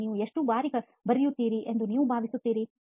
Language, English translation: Kannada, And how frequently do you think you write